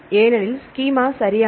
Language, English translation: Tamil, Because the schema right